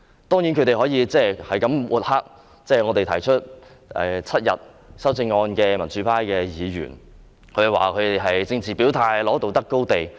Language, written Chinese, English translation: Cantonese, 當然，他們可以不斷抹黑提出將侍產假修訂為7天的民主派議員，指我們是政治表態，爭取道德高地。, Of course they can continue to smear democratic Members who propose to extend paternity leave to seven days accusing them of declaring their political stance and taking the moral high ground